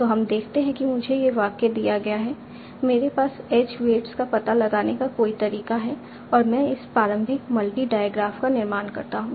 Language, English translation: Hindi, So let us say I am given this sentence, I have some way of finding the edge weights and I construct this initial multi di graph